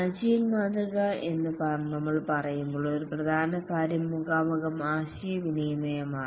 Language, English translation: Malayalam, As we are saying that the agile model, one important thing is face to face communication